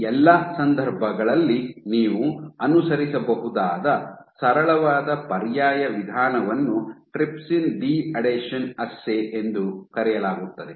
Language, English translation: Kannada, For all these cases, so there is a very simple alternative approach which you might follow is called a trypsin deadhesion assay